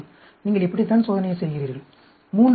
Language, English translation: Tamil, This is how you do the experiment, 3 levels